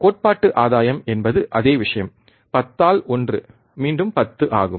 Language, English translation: Tamil, Theoretical gain is same thing, 10 by 1, again it is 10